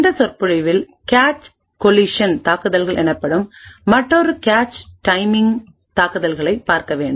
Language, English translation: Tamil, In this lecture will be looking at another cache timing attack known as cache collision attacks